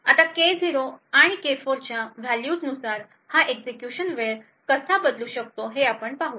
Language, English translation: Marathi, Now we will see how this execution time can vary depending on the values of K0 and K4